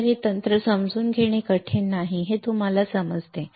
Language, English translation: Marathi, So, you understand that it is not difficult to understand this technique